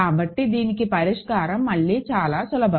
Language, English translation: Telugu, So, solution for this is again very simple